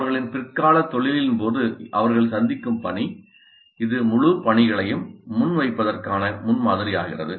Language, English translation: Tamil, So the kind of task that they encounter during their later profession, that becomes the model for presenting the whole tasks